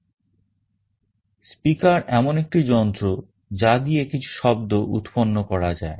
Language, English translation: Bengali, A speaker is a device through which we can generate some sound